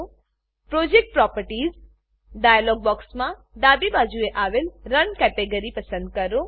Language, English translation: Gujarati, In the Project Properties dialog box, select the Run category on the left side